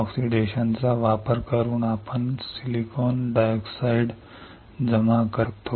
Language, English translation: Marathi, By using oxidation we can grow silicon dioxide deposition